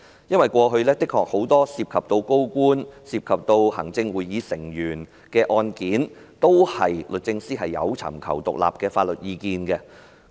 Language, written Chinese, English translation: Cantonese, 因為過去律政司都的確有就多宗涉及高官、行政會議成員的案件，尋求獨立的法律意見。, It is because in the past DoJ has actually sought independent legal advice on various cases involving senior public officials and Members of the Executive Council